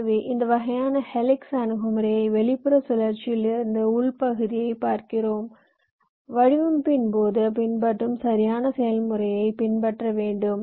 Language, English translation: Tamil, so you would see, if you follow this kind of helix approach from the outer more cycle to the inner most one, your actually following the at exact process which typically we follow during the design